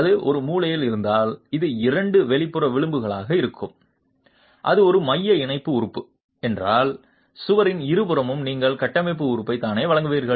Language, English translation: Tamil, As you see in this picture, if it is a corner, then it will be two outer edges and if it is a central tie element, then on either sides of the wall you would be providing the formwork element itself